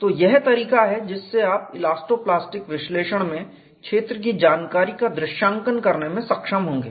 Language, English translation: Hindi, So, this is the way that you have been able to picturise the field information in elasto plastic analysis